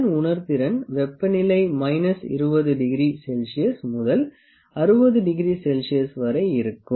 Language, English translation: Tamil, It sensitive to the temperature is from minus 20 degree to 60 degree centigrades